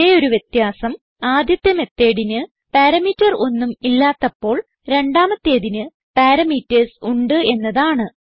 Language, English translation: Malayalam, The difference is that the first method has no parameter